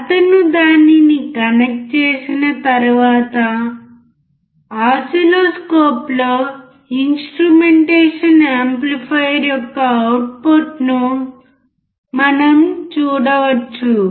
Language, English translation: Telugu, And once he connects it, we can see the output of the instrumentation amplifier on the oscilloscope